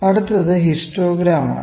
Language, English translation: Malayalam, So, next is this histogram